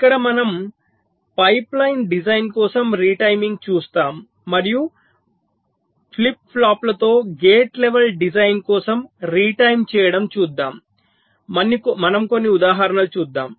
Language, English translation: Telugu, ok, so here we shall be looking at retiming for a pipeline design and also retiming for gate level design with flip flops